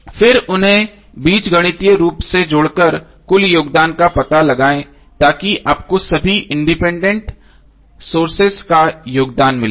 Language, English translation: Hindi, Then find the total contribution by adding them algebraically so that you get the contribution of all the independent sources